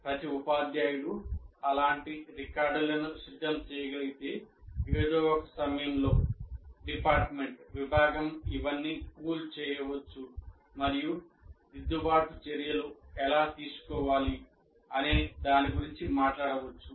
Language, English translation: Telugu, If every teacher can prepare that, then the department at some point of time can pool all this and talk about how to take corrective action for that